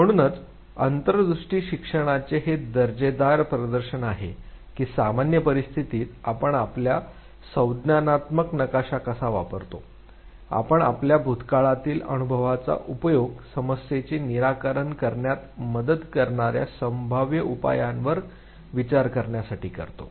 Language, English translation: Marathi, So these are interesting demonstration of insight learning as to how in a normal type a situation we use our cognitive map, we use our past experience to think of the possible solutions that would help resolve the problem